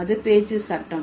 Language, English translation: Tamil, That's the speech act